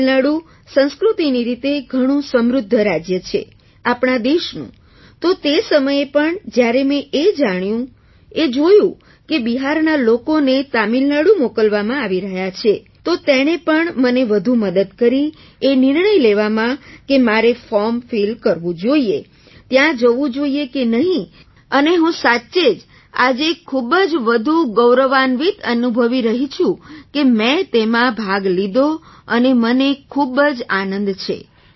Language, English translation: Gujarati, Tamil Nadu is a very rich cultural state of our country, so even at that time when I came to know and saw that people from Bihar were being sent to Tamil Nadu, it also helped me a lot in taking the decision that I should fill the form and whether to go there or not